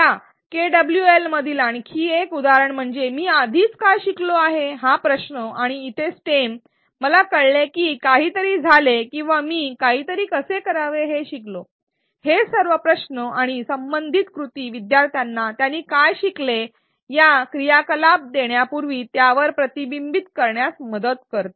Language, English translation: Marathi, Another example in this KWL is the question what have I already learnt and here the stem is I learnt that something happened or I learnt how to do something, all these questions and the corresponding stems help learners reflect on what they have learnt and before this activity was given